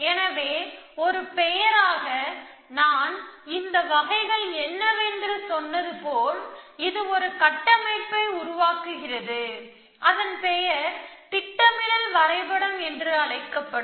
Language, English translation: Tamil, So, as a name, as I, as I said what these types is it construct a structure called a planning graph and then searches in the structure for a plan